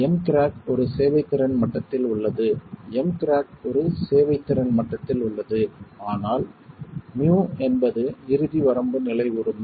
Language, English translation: Tamil, M crack is at a serviceability level, M crack is at a serviceability level, but MU is ultimate limit state